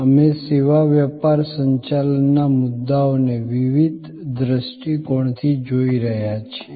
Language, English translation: Gujarati, We are looking at the service business management issues from various perspectives